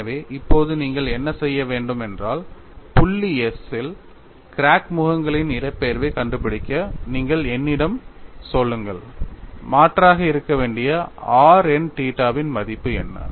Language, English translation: Tamil, So, now what I want you to do is, you tell me at point s to find the displacement of crack faces what is the value of r n theta, I should substitute